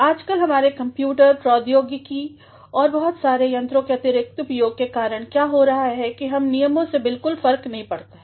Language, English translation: Hindi, Nowadays, because of the excess of our use of computers, technology and many more gadgets what is happening is that we are being least bothered about rules